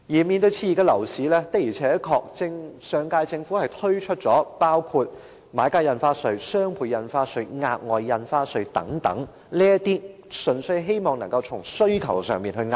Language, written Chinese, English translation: Cantonese, 面對熾熱的樓市，上屆政府確實曾經推出買家印花稅、雙倍印花稅、額外印花稅等措施，希望單從遏抑需求上着手。, In the face of an overheated property market the last - term Government had indeed launched various measures including Buyers Stamp Duty BSD Doubled Stamp Duty DSD and Special Stamp Duty SSD in the hope of addressing the problem through suppressing demand